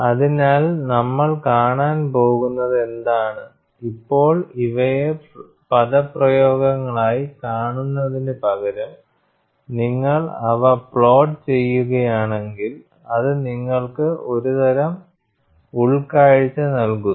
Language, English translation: Malayalam, So, what we are going to look at now is, rather than looking at these as expressions, if you plot them, that gives you some kind of an insight